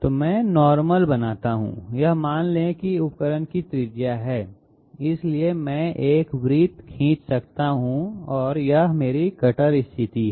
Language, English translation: Hindi, So I draw the normal, this suppose is the radius of the tool, so I can draw a circle and this is my cutter position